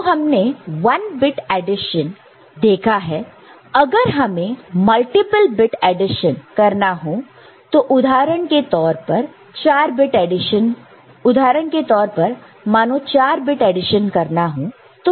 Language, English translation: Hindi, So, if you want to multiple bit, some bit addition for example, say 4 bit addition how we go about